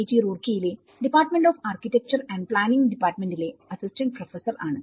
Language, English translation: Malayalam, I am an assistant professor from Department of Architecture and Planning, IIT Roorkee